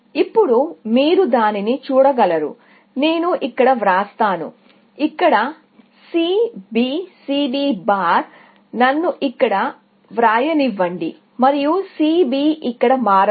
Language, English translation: Telugu, Now, you can see that, let me write it here; C B here, C B bar; let me write here, and C b here